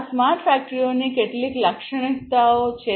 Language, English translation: Gujarati, These are some of the characteristics of smart factories connection